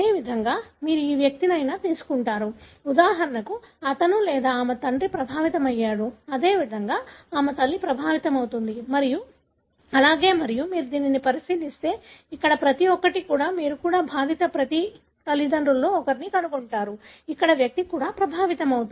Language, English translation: Telugu, Likewise you take any individual, for example his or her father is affected, likewise her mother is affected and so on and likewise if you look into this, each one of that here also you find that one of the parents of each one of the affected individual here is also affected